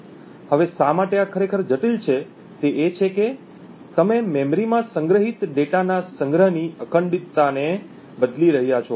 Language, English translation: Gujarati, Now why this is actually critical is that you are modifying the integrity of the storage of the data stored in the memory